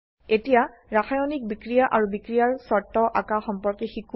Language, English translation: Assamese, Now lets learn to draw chemical reactions and reaction conditions